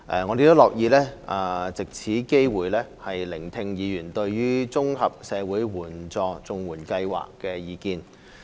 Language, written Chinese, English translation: Cantonese, 我們亦樂意藉此機會聆聽議員對綜合社會保障援助計劃的意見。, We are also happy to take this opportunity to listen to Members views on the Comprehensive Social Security Assistance CSSA Scheme